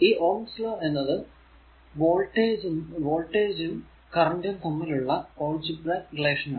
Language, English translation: Malayalam, So, Ohm’s law is the algebraic relationship between voltage and current for a resistor